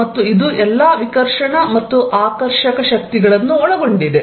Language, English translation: Kannada, And this covered all the repulsive and attractive forces